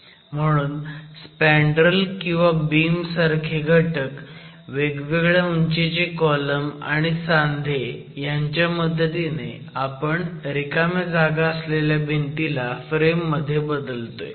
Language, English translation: Marathi, So, basically as an assembly of spandrels or the beam elements, column elements of varying heights and the joint elements, you are converting the wall with openings into an equivalent frame